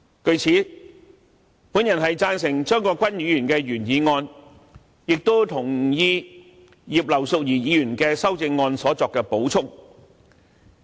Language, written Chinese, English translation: Cantonese, 據此，我贊成張國鈞議員的原議案，也同意葉劉淑儀議員就修正案所作的補充。, Therefore I support the original motion moved by Mr CHEUNG Kwok - kwan and agree with the supplementary information provided in Mrs Regina IPs amendment